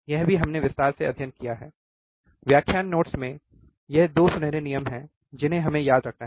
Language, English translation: Hindi, This is also we have studied in detail, right in lecture notes that, these are the 2 golden rules that we have to remember